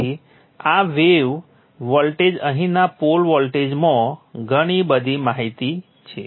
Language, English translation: Gujarati, So this way the voltage, the pool voltage here has so much information in it